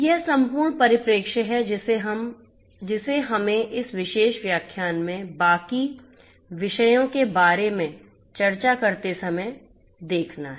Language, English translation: Hindi, So, this is this holistic perspective that we have to keep when we discuss about the rest of the; rest of the topics in this particular lecture